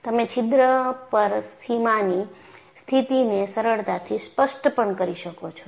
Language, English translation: Gujarati, You can easily specify the boundary condition on the hole